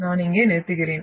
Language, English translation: Tamil, So I will stop here